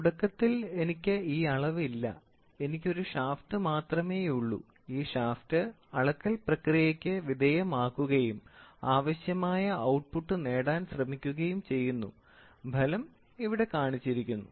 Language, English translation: Malayalam, So, initially I will not have this measurement, I will only have the shaft, I will only have a shaft and this shaft is given into the measurement process and it tries to produce the required output, the result magnitude is shown here